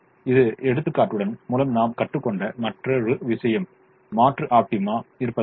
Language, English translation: Tamil, the other thing we learnt through this example is the presence of alternate optima